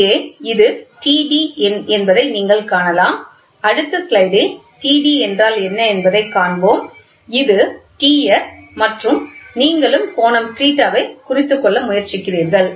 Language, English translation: Tamil, So, here you can see that this is T d, we will see what is T d in the next slide; T d and this is T s and you also try to make a note of the angle theta